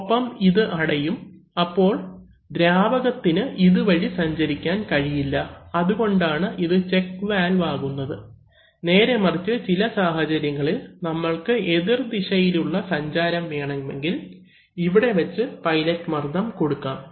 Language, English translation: Malayalam, And this will close, this will close, so fluid cannot pass in this direction that is why it is a check valve, on the other hand if you, in certain conditions we want that, under certain, we want to convert this valve from, we also want reverse flow, so in that case we can apply pilot pressure here